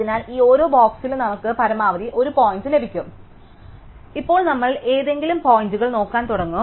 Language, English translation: Malayalam, So, therefore in each of these boxes we can have at most one point and now we start looking at any point